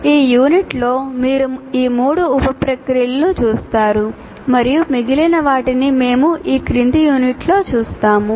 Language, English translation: Telugu, And in this particular unit we will be particularly looking at three of the sub processes and the remaining ones we will look at in the following unit